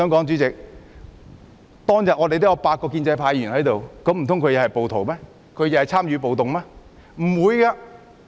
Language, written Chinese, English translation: Cantonese, 主席，當天8位建制派議員在場，難道他們都是暴徒又參與了暴動？, President eight pro - establishment Members were at the scene on that day were they all rioters because they had participated in the riots?